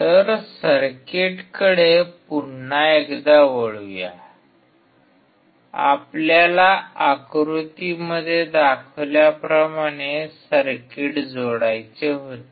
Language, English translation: Marathi, So, coming back to the circuit, we had to connect the circuit as shown in figure